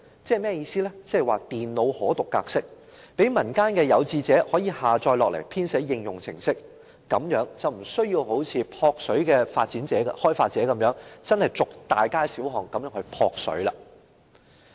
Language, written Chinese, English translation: Cantonese, 即是"電腦可讀格式"，讓民間有志者可以下載資料來編寫應用程式，這樣便無需一如"撲水"的開發者一樣，真正走遍大街小巷"撲水"。, It is Application Programming Interface format . Members of the public can download the information in this format to create apps . In this way they do not have to walk through streets and alleys like the developers of Water for Free